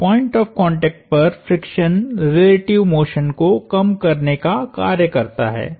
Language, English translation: Hindi, So, friction at the point of contact acts to minimize relative motion